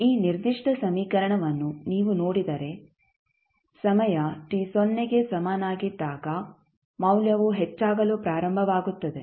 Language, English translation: Kannada, So, what will happen if you see this particular equation at time t is equal to 0 the value will start increasing